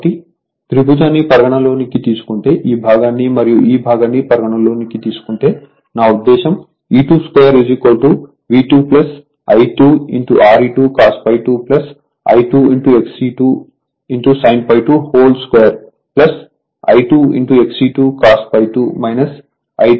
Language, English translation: Telugu, So, E 2 square will be V 2 plus I 2 R e 2 cos phi 2 plus I 2 X e 2 sin phi 2 whole square right plus I 2 X e 2 cos phi 2 minus I 2 R e 2 sin phi 2 square right